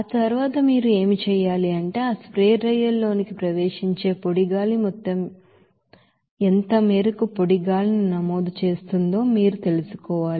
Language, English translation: Telugu, After that, what you have to do that you have to find out the what will be the amount of dry air that is entering that amount of dry air entering to that spray drier that will be is equal to simply that you know 178